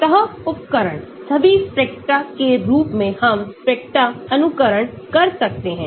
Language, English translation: Hindi, surface tools, all the spectra as we can simulate spectra